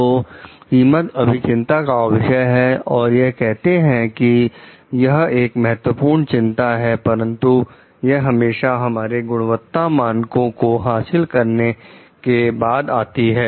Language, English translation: Hindi, So, like cost may still be the concern, it said of course, it is an important concern, but it comes only after our quality standards are met